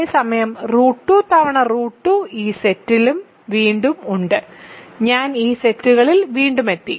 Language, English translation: Malayalam, Whereas, root 2 times root 2 is also is again in this set; i times i is again in this sets